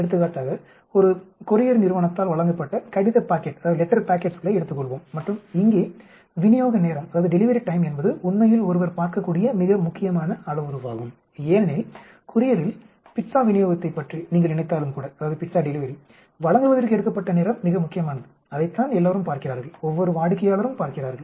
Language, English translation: Tamil, For example, let us take the letter packets delivered by a couriers company and so here delivery time is the most important parameter which one looks at actually because the courier even if you think about the pizza delivery, time taken to deliver is the most important that is what everybody looks at, every customer looks at